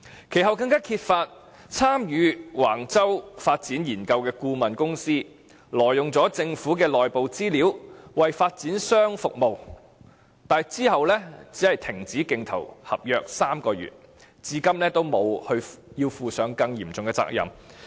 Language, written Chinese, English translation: Cantonese, 其後，更揭發參與橫洲發展研究的顧問公司挪用了政府的內部資料為發展商服務，但之後只是被罰停止競投政府合約3個月，至今也沒有負上更嚴重的責任。, Later it was also revealed that the consultant firm involved in the Wang Chau development study had illegally used internal information of the Government when it performed service for a developer . However the consultant firm was only suspended from bidding government contracts for three months and up till now it did not have to bear a more serious responsibility